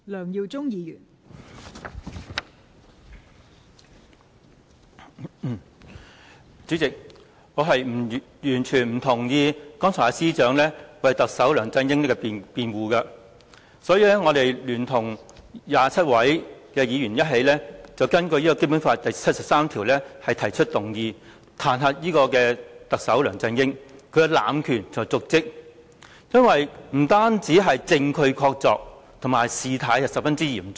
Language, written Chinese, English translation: Cantonese, 代理主席，我完全不同意司長剛才為特首梁振英所作的辯護，所以我聯同27位議員根據《基本法》第七十三條提出議案，彈劾特首梁振英濫權瀆職，因為此事不單證據確鑿，而且事態十分嚴重。, Deputy President I totally disagree with the defense that the Chief Secretary put up for Chief Executive LEUNG Chun - ying just now . Hence I have together with 27 Members proposed a motion under Article 73 of the Basic Law to impeach Chief Executive LEUNG Chun - ying for dereliction of duty . The matter is not only substantiated with evidence but also very serious in nature